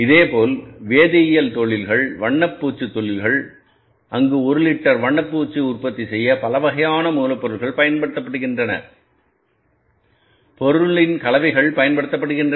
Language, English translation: Tamil, Similarly the chemical industries, paint industries, there are for manufacturing the one liter of the paint, multiple types of the raw materials are used